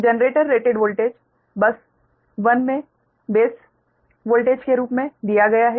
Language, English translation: Hindi, so the generator rated voltage is given as the base voltage at bus one